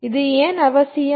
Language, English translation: Tamil, Why is this necessary